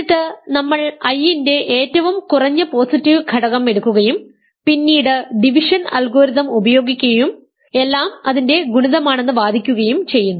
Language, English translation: Malayalam, And then we simply take the least positive element of I and then we use division algorithm to argue that everything is a multiple of that